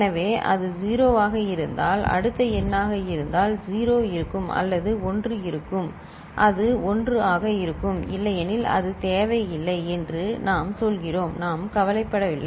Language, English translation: Tamil, So, if it is the next number if it is 0, 0 will be there or 1, it will be 1, otherwise we say it is do not care, we do not care